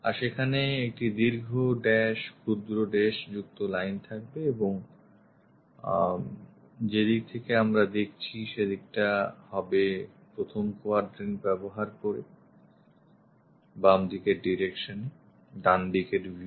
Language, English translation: Bengali, And there will be long dash, short dashed lines and this one is right side view which we are looking from right side towards the left direction using first quadrant